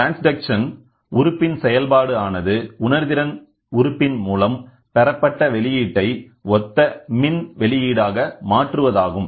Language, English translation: Tamil, The transduction element the function of a transduction element is to transform the output obtained by the sensing element to an analogous electrical output